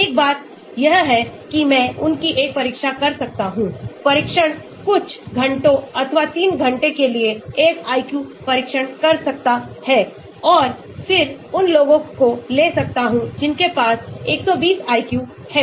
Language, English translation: Hindi, one thing is I can make them do an exam, test can conduct an IQ test for couple of hours or 3 hours and then take those who have 120 IQ